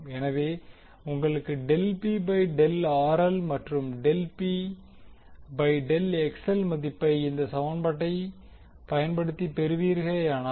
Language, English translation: Tamil, So, if you obtain the value of del P by del RL and del P by del XL using this equation